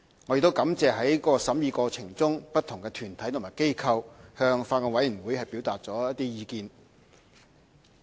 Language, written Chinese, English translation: Cantonese, 我亦感謝在審議過程中，不同團體和機構向法案委員會表達的意見。, I would also like to thank the deputations and organizations which have expressed their views to the Bills Committee during scrutiny of the Bill